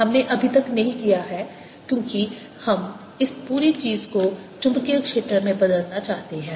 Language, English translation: Hindi, and that point we are not yet done because we want to convert this whole thing into the magnetic field